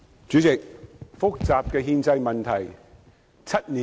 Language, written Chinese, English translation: Cantonese, 主席，憲制問題是複雜的。, President constitutional issues are complicated